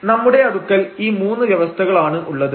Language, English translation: Malayalam, So, we have these 3 conditions